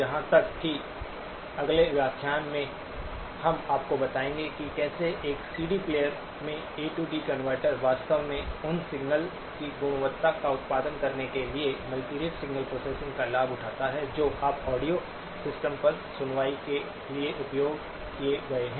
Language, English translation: Hindi, Even in the next lecture, we will tell you how the A to D converter in a CD player actually leverages multirate signal processing to produce the quality of signals that you have become used to, hearing over the audio system